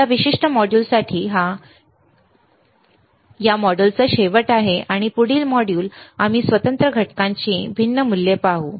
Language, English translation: Marathi, So, for this particular module, this is the end of this module, and the next module, we will look at the different values of the discrete components, all right